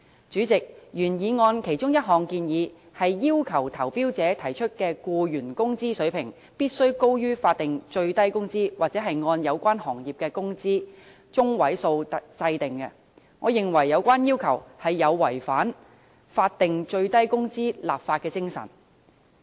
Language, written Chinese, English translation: Cantonese, 主席，原議案其中一項建議是要求投標者提出的僱員工資水平，必須高於法定最低工資或按有關行業的工資中位數訂定，我認為有關要求有違法定最低工資的立法精神。, President the original motion proposes among others to require tenderers to offer to employees wage levels higher than the statutory minimum wage or to set the wage levels according to the median wage of the relevant industries . This I think is contrary to the spirit of legislating for the statutory minimum wage